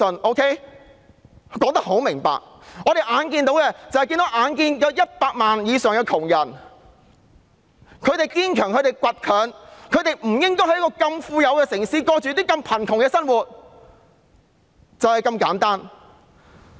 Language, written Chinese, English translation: Cantonese, 我已說得很明白，社會上那超過100萬堅強而倔強的貧苦大眾，實不應在如此富裕的城市過着這麼貧窮的生活，就是這麼簡單。, I have already made it very clear that the poverty stricken population of more than 1 million in our society are strong and determined and there is no reason for them to live in such poverty in such a wealthy city . My point is just as simple as that